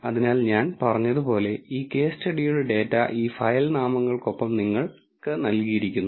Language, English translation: Malayalam, So, the data for this case study like I said is provided to you with these to file name